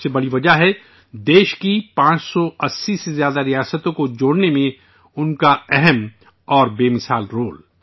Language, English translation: Urdu, The biggest reason is his incomparable role in integrating more than 580 princely states of the country